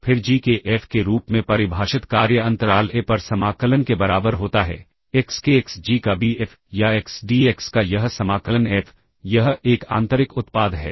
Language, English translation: Hindi, Then the assignment defined as F of g equals integral over the interval a comma b F of x g of x or F t d t that is this integral F of x g of x d x this is an inner product, like this is a very interesting application